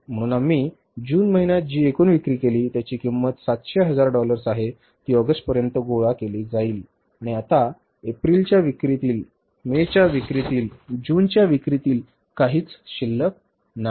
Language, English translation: Marathi, So, total sales which we made in the month of June that is worth of the $700,000 they are collected by the August and now nothing is due for the April sales, for the May sales for the June sales